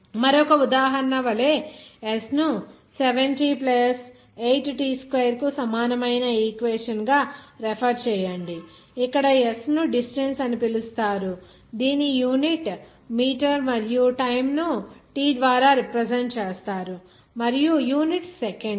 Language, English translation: Telugu, Like another example: consider S is an equation equal to 7t + 8t2 where S is referred to as distance whose unit is meter and time is represented by t and the unit is seconds